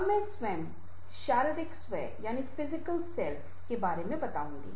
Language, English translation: Hindi, now i will explain a little bit about this self, physical self